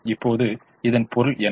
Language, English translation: Tamil, now, what does that mean